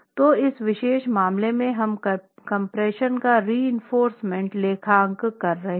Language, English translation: Hindi, So, in this particular case we are accounting for the compression reinforcement in the equilibrium itself